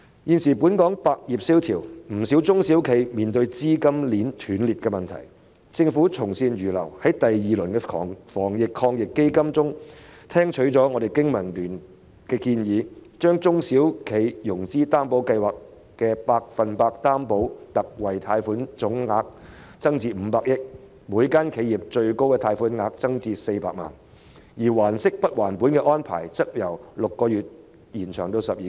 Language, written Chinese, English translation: Cantonese, "現時本港百業蕭條，不少中小型企業正面對資金鏈斷裂的問題，但政府從善如流，在防疫抗疫基金的第二輪措施中聽取了我們香港經濟民生聯盟的建議，把中小企融資擔保計劃下百分百擔保特惠貸款的總信貸保證承擔額增至500億元，每家企業的最高貸款額亦增至400萬元，而還息不還本安排的實施期則由6個月延長至12個月。, Nowadays all industries in Hong Kong are languishing and many small and medium enterprises SMEs are facing the problem of capital chain rupture but the Government is ready to accept good advice and accepted the proposal of the Business and Professionals Alliance for Hong Kong BPA by increasing the total guarantee commitment of the Special 100 % Loan Guarantee under the SME Financing Guarantee Scheme to HK50 billion increasing the maximum loan amount per enterprise to HK4 million and extending the effective period of the principal payment holiday arrangement from 6 months to 12 months